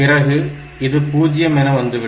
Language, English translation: Tamil, So, this is 0